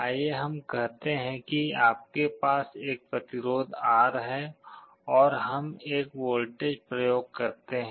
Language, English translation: Hindi, Let us say you have a resistance R here and we apply a voltage